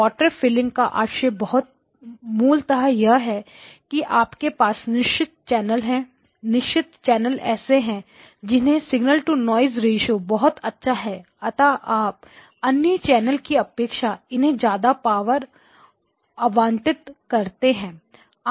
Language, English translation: Hindi, Water filling basically means that when you have certain channels which have got good signal to noise ratio you allocate more power to them compared to the other channels